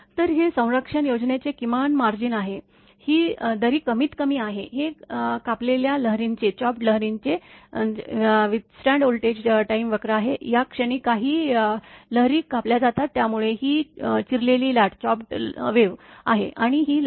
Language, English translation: Marathi, So, this is the minimum margin of the protection scheme, this gap is the minimum, this is the withstand voltage time curve of equipment chopped wave withstand right, at this point some of the wave is chopped, so this is a chopped wave withstand, and this wave front withstand